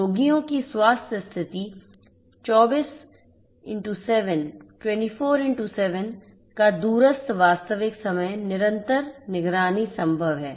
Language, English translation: Hindi, Remote real time continuous monitoring of patients health condition 24x7 is possible